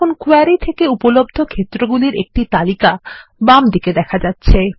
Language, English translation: Bengali, Now we see a list of available fields from the query on the left hand side